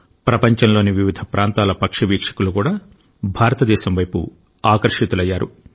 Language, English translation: Telugu, This has also attracted bird watchers of the world towards India